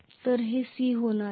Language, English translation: Marathi, So this is going to be c